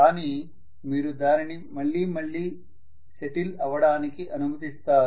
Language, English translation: Telugu, But you allow it to settle again and again